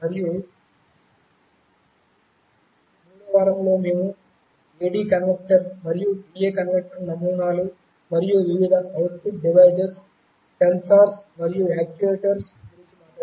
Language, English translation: Telugu, And in the 3rd week, we talked about the A/D converter and D/A converter designs and various output devices, sensors and actuators